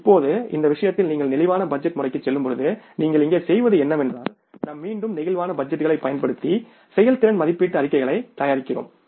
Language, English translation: Tamil, Now in this case when you go for the flexible budgeting system what you do here is that we again prepare the performance evaluation reports by using the flexible budgets